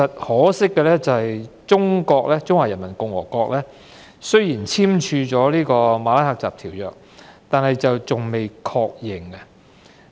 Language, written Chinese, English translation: Cantonese, 可惜的是，中華人民共和國雖已簽署《馬拉喀什條約》，但尚待確認批准。, However regrettably the Peoples Republic of China is a signatory to the Marrakesh Treaty but has yet to ratify it